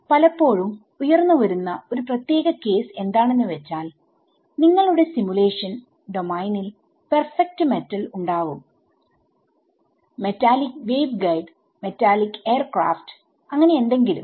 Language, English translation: Malayalam, So a special case that often arises that in your simulation domain you have metal perfect metal: metallic waveguide, metallic aircraft, whatever right